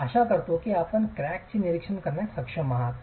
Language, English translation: Marathi, I hope you are able to observe these cracks